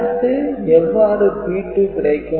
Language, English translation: Tamil, So, how to get P 2